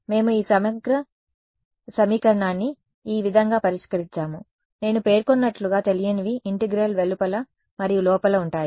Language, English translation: Telugu, This is how we had solved this integral equation, as I mentioned the unknown is both outside and inside the integral